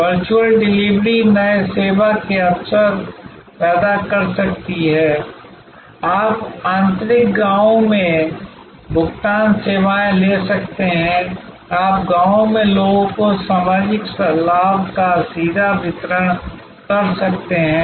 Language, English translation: Hindi, The virtual delivery can create new service opportunities, you can take payment services to interior villages, you can create direct delivery of social benefits to people in villages